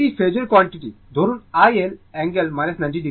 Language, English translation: Bengali, This is phasor quantity say i L angle minus 90 degree